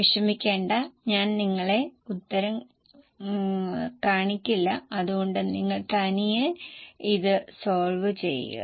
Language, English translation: Malayalam, Don't worry, I will not show you solution so that you can solve it yourself